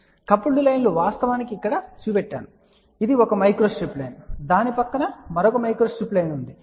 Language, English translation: Telugu, So, coupled lines are actually shown here, so this is the one micro strip line and there is another micro strip line kept next to that